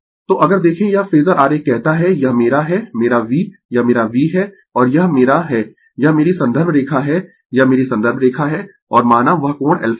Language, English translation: Hindi, So, if you look into this phasor diagram say say this is my this is my V this is my V and this is my this is my reference line this is my reference line and this angle is alpha say